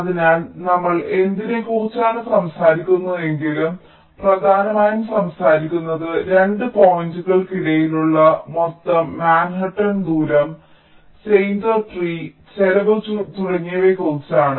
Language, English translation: Malayalam, so whatever we are talking about there, we were mainly talking about how much was the total manhattan distance between the two points, steiner tree cost and so on and so forth